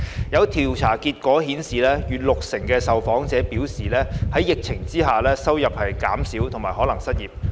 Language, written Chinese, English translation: Cantonese, 有調查結果顯示，逾六成受訪者表示在疫情下收入減少及可能失業。, As shown in the findings of a survey over 60 % of the respondents indicated that amid the epidemic their income had decreased and that they might lose their jobs